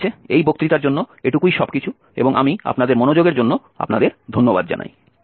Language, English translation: Bengali, So, that is all for this lecture and I thank you very much for your attention